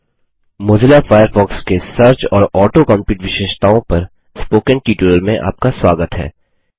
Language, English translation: Hindi, Welcome to the Spoken tutorial on the Mozilla Firefox Search and Auto complete features